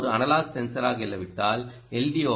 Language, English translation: Tamil, ok, if it is an analogue sensor, the story is different